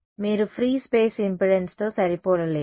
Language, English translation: Telugu, You cannot match the free space impedance